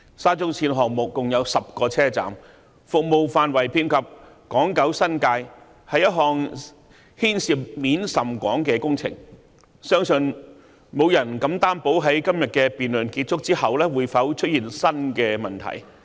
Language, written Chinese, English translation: Cantonese, 沙中線項目共有10個車站，服務範圍遍及港、九、新界，是一項牽涉面甚廣的工程，相信沒有人敢擔保在今天的辯論結束後不會出現新的問題。, There are 10 stations in total under the SCL Project and SCLs catchment area covers Hong Kong Island Kowloon and the New Territories so it is a project involving quite an extensive scope . I believe nobody dares guarantee that no new problems would arise after the end of the debate today